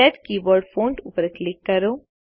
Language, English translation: Gujarati, Click Set Keyboard Font